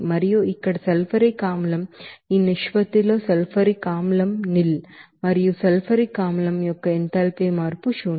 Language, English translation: Telugu, And then what is that here sulfuric acid this ratio that n of sulfuric acid nil and enthalpy change of that sulfuric acid is nil